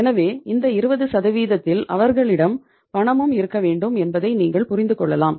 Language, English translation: Tamil, So it means you can make out that in this 20% they must have the cash also